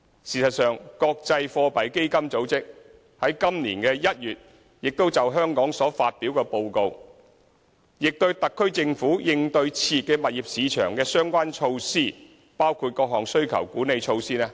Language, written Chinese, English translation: Cantonese, 事實上，國際貨幣基金組織在今年1月就香港所發表的報告中，亦肯定特區政府應對熾熱物業市場的相關措施，包括各項需求管理措施。, In fact in its report released on Hong Kong this January the International Monetary Fund also recognized the measures adopted by SAR Government to address an overheated property market including various demand - side management measures